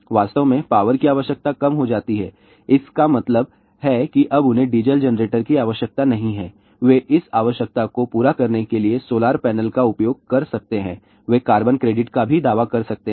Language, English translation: Hindi, In fact, power requirement reduces means they, now they do not need diesel generators , they can use solar panel to meet this requirement , they can even claim carbon credit also